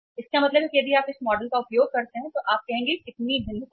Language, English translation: Hindi, It means finally if you use this model you would say that how much variation is there